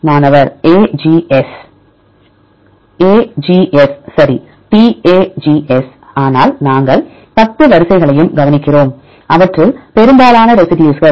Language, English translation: Tamil, AGS right TAGS, but we look into the all the 10 sequences, most of them have the residue threonine